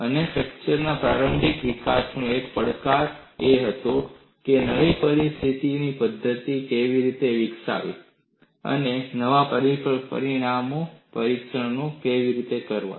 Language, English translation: Gujarati, And one of the challenges in the early development of fracture mechanics was how to develop new test methods, and also new test specimens